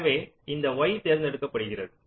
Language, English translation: Tamil, so x is selected